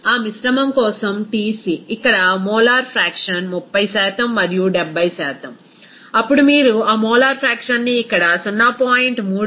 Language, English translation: Telugu, For that mixture Tc since here molar fraction is 30% and 70%, then you just simply multiply that molar fraction as here 0